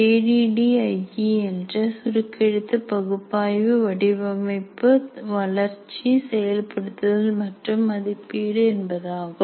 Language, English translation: Tamil, ADI stands for an acronym stands for analysis, design, development, implement and evaluate